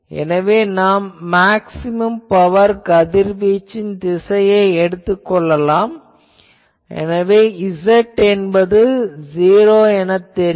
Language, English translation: Tamil, So, what people do that the maximum power radiation direction we already know that is z is equal to 0